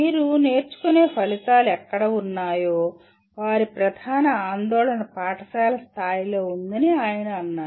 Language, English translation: Telugu, He said wherever you have learning outcomes, of course their main concern was at the school level